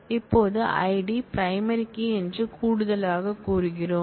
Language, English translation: Tamil, Now, we additionally say that primary key is ID